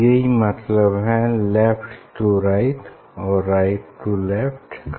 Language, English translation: Hindi, that is what meaning of left to and to left